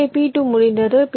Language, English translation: Tamil, so my p two is done